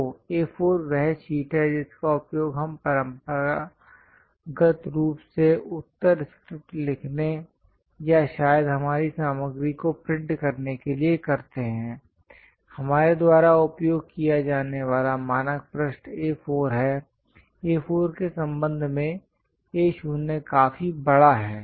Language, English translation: Hindi, So, A4 is the sheet what we traditionally use it for writing answer scripts or perhaps printing our material; the standard page what we use is this A4; with respect to A4, A0 is way large